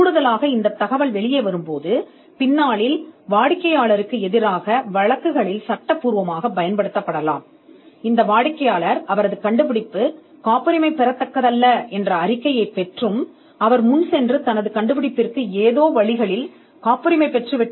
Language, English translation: Tamil, Additionally this information if it pops out could be used in litigation against the client at a later stage to state that; this client actually got a report saying that it is not patentable and still went ahead and patented it and got the patent granted by some means